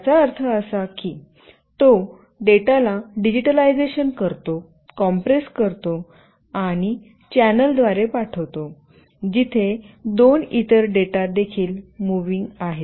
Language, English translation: Marathi, It means that it digitizes the data, compresses it, and sends through a channel where two other data are also moving